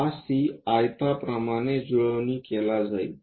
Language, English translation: Marathi, This C will be mapped like a rectangle